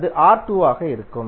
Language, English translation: Tamil, That would be R2